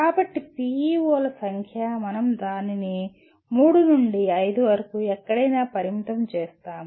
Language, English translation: Telugu, So the number of PEOs, we limit it to anywhere from three to five